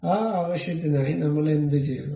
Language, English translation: Malayalam, For that purpose, what we have to do